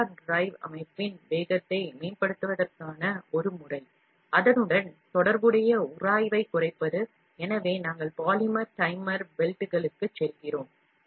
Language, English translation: Tamil, One method to improve the speed of the motor drive system is, to reduce the corresponding friction, so we go for polymer timer belts